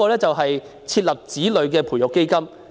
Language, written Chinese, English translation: Cantonese, 此外，設立子女培育基金。, Next a child development fund should be set up